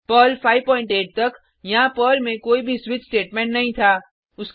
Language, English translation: Hindi, Till Perl 5.8, there was no switch statement in Perl